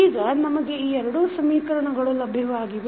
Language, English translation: Kannada, Now, we have got these two equations